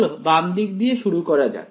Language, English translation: Bengali, So, let us start with the left hand side